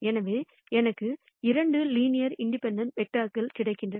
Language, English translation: Tamil, So, I get 2 other linearly independent vectors